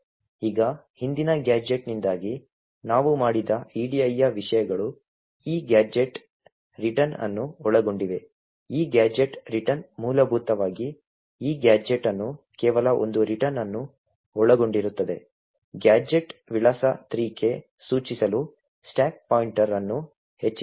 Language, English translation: Kannada, Now the contents of the edi what we have done due to the previous gadget contains this gadget return, this gadget return essentially is pointing to this gadget comprising of just a return, simply increments the stack pointer to point to gadget address 3